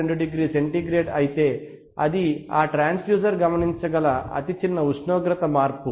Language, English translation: Telugu, 2 degree centigrade then is the smallest temperature change that can be observed